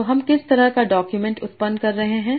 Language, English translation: Hindi, So what kind of document can I generate